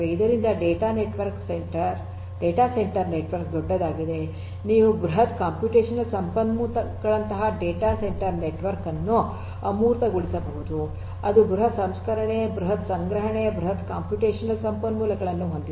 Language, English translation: Kannada, So, data centre network are huge you know you can abstract a data centre network like a huge computational resource which has huge processing, huge storage, huge computational resources, you know which can be offered to end users as per requirements and so on